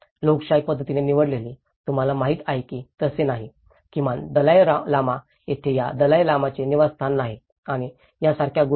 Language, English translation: Marathi, democratically elected, you know so there is no, at least in Dalai Lama there is no residence of this Dalai Lama and things like that